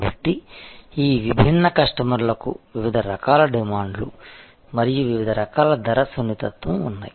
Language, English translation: Telugu, So, these different customers have different types of demands and different types of price sensitivity